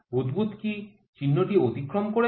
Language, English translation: Bengali, So, has the bubble cross the marking